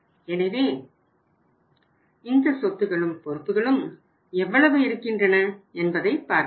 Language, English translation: Tamil, So let us see how much these assets and liabilities are